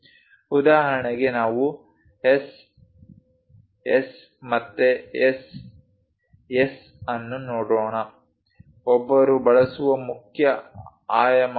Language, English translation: Kannada, For example, let us look at S, S again S, S so; these are the main dimensions one uses